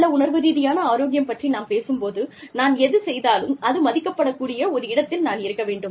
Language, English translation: Tamil, When we talk about, good emotional health, i want to be in a place, where, whatever i do, is valued